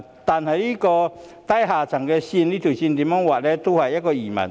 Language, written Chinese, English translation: Cantonese, 但是，如何劃低下階層這條線也是疑問。, However it is doubtful as to how to draw a line on the low - income class